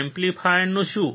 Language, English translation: Gujarati, What about amplifier